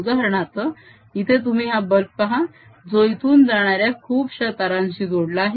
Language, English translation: Marathi, for example, here you see this bulb which is connected to a lot of wires going around